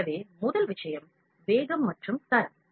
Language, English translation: Tamil, So, very first thing is speed and quality